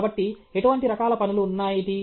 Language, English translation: Telugu, So, what are the kinds of work